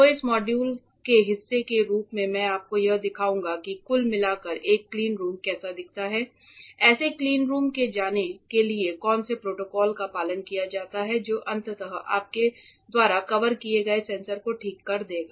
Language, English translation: Hindi, So, what I will do as part of this module is show you how overall a cleanroom looks like, what are the protocols followed in going into such a cleanroom that will eventually fabricate the sensors that you have covered ok